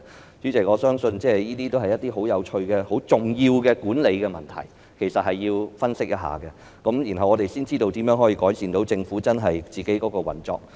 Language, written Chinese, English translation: Cantonese, 代理主席，我相信這些亦是十分有趣和重要的管理問題，其實必須加以分析，然後才會知道如何能夠改善政府的運作。, Deputy Chairman I believe these are also some very interesting and crucial management issues which we must analyse indeed with a view to identifying the ways to improve the operation of the Government